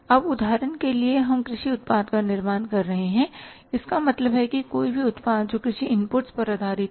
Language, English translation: Hindi, Now for example we are manufacturing the agricultural product means any product which is based upon the agricultural inputs